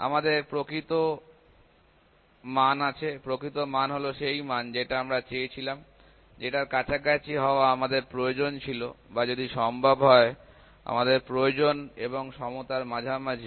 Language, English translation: Bengali, We have a true value; true value is the one; that is desired that we need to be close to or between need to equal to if possible